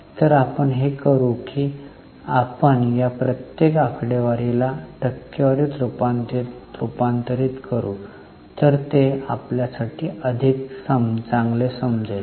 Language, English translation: Marathi, So, what we will do now is we will convert each of these figures into percentage